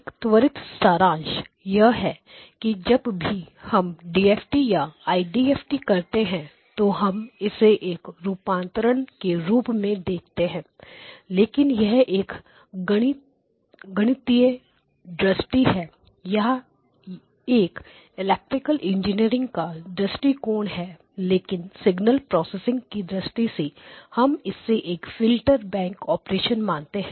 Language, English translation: Hindi, So just as a quick summary whenever we do the DFT or IDFT basically we view it as a transformation but from a that is from a mathematical view point or from a electrical engineer view point but from signal processing view point, we think of it as some operation with filter banks